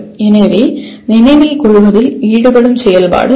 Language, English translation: Tamil, So that is the activity that is involved in remembering